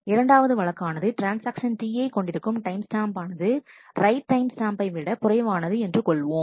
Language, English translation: Tamil, Second case if the transaction T i has a timestamp which is less than the write timestamp